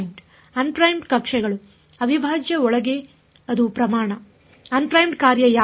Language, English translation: Kannada, Un primed coordinates; inside the integral which is the quantity which is the function of un primed